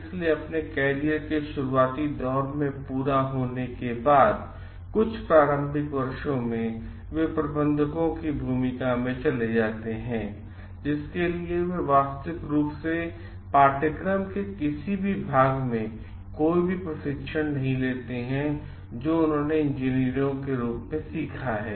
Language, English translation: Hindi, So, after their completion of their early stages in their career, initial after, some initial years they move into the role of managers; for which they do not get actual any training as a part of the course that they have learnt as engineers